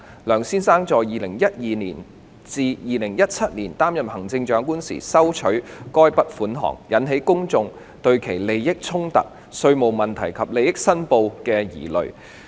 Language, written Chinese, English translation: Cantonese, 梁先生在2012年至2017年擔任行政長官時收取該筆款項，引起公眾對其利益衝突、稅務問題及利益申報的疑慮。, Mr LEUNG received the relevant payments during his term of office as the Chief Executive between 2012 and 2017 thus prompting public concerns over the issues of conflict of interests taxation implications and declaration of interests